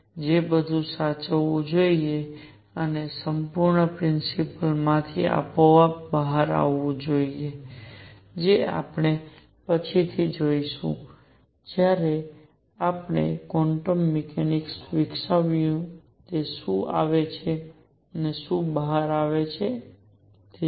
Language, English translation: Gujarati, All that should be preserved and should come out automatically from a complete theory, which we will see later when we develop the quantum mechanics that it does come out